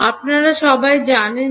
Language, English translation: Bengali, All of you know what